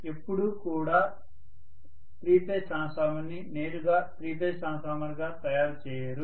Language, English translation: Telugu, We never make the three phase transformer directly three phase transformer